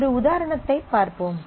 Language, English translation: Tamil, So, let us look at a example